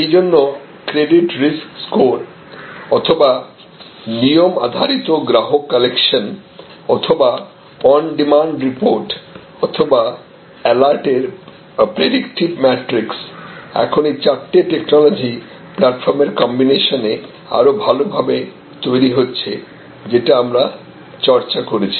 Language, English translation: Bengali, So, predictive metrics of credit risk scores are rule based customer collection or on demand reports and alerts this can be, now generated much better with the combination of this four technology platforms, that we discussed